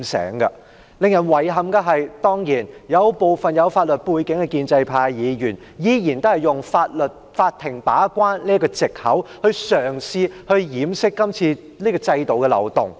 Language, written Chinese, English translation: Cantonese, 當然，令人遺憾的是有部分具有法律背景的建制派議員，依然嘗試用法庭把關這個藉口掩飾今次修例的漏洞。, Needless to say it is regrettable that a number of pro - establishment Members with a legal background are still attempting to use the courts role of a gatekeeper as an excuse to cover up the loophole in the amendments to the Ordinance